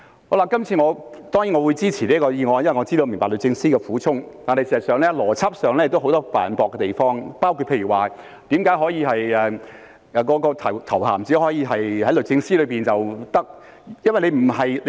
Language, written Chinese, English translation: Cantonese, 我這次當然會支持《條例草案》，因為我明白律政司的苦衷，但事實上，在邏輯方面有很多犯駁的地方，例如為何頭銜只可以在律政司內使用？, Of course this time I will support the Bill because I understand the difficulties of DoJ . Nevertheless there are actually many logical refutations . For example why is the title only allowed to be used in DoJ?